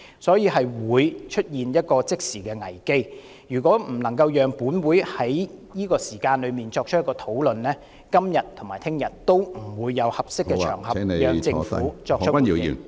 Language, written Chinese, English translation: Cantonese, 香港正面臨即時危機，如果本會不能在此時作出討論，今天和明天也不會有合適場合讓政府作出回應。, Hong Kong is facing an immediate crisis . If this Council does not hold a discussion now there will be no suitable occasion for the Government to give responses today and tomorrow